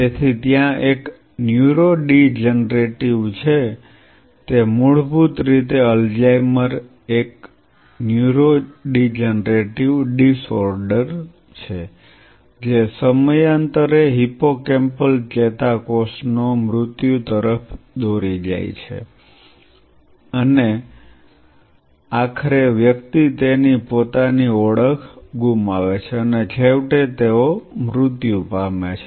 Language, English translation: Gujarati, So, there is a neurodegenerative it is basically Alzheimer’s is a neurodegenerative disorder, which leads to the death of hippocampal neuron over a period of time, and eventually the individual loses his or her own identity and eventually they die